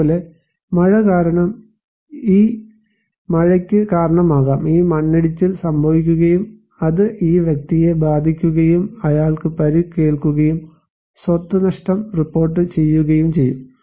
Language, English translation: Malayalam, Like, it can cause that this rainfall because of the rainfall, this landslide will take place and it may hit this person and he will be injured and property loss will be reported